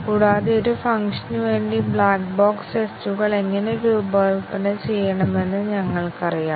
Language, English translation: Malayalam, And, we know how to design black box tests for a function